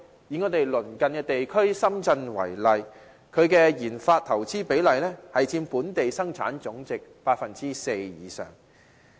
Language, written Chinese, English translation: Cantonese, 以我們鄰近地區深圳為例，當地的研發投資佔本地生產總值 4% 以上。, Take our neighbour Shenzhen as an example the research and development RD investment it makes contributes more than 4 % to its gross domestic product GDP